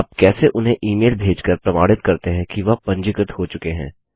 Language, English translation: Hindi, How do you send them an email confirming that they have registered